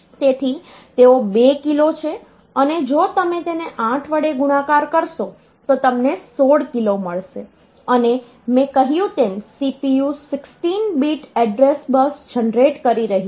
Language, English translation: Gujarati, So, they are 2 kilo and if you multiply it by 8 so you get 16 kilo and as I said that the CPU is generating 16 bit address bus